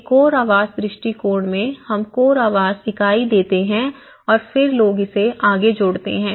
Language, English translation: Hindi, In a core house approach, we give a core dwelling unit and then people add on to it